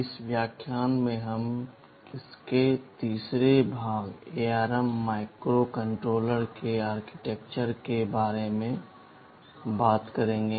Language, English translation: Hindi, In this lecture we shall be talking about the Architecture of ARM Microcontroller, the third part of it